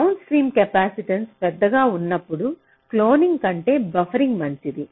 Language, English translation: Telugu, when the downstream capacitance is large, buffering can be better than cloning